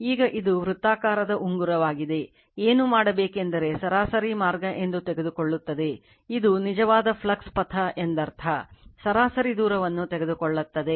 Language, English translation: Kannada, Now, this is a circular ring so, what we will do is we will take your what you call that you are mean path, this is actually mean flux path, we will take the mean distance right